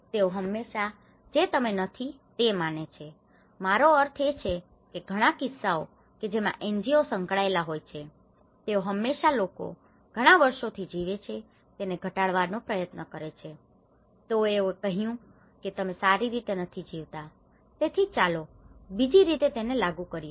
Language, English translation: Gujarati, They always believe that you are not I mean many of the cases when NGOs involving, they always try to undermine what people already lived for many years, they said you are not in a good way, so let us impose other way of it